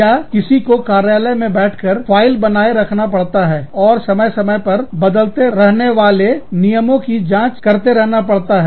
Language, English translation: Hindi, Or, somebody sitting in an office, has to maintain the file, and has to keep checking, the rules from time, which keep changing, from time to time